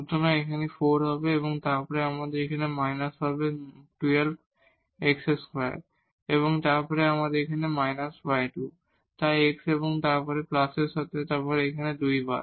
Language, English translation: Bengali, So, that will be 4 and then we will have minus here a 12 x square and then here minus y square, so with respect to x and then plus, so here this 2 times